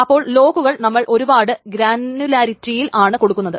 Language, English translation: Malayalam, So the lock is essentially applied at multiple granularity